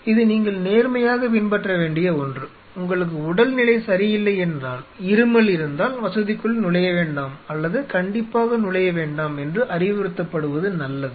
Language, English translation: Tamil, This is something which you should religiously follow, if you are not well if your coughing it is better or rather strongly advise that do not get into the facility